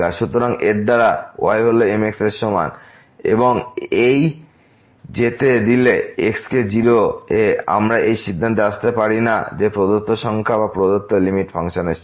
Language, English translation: Bengali, So, by doing so y is equal to mx and letting this goes to , we cannot conclude that the given number or the given limit is the limit of the of the function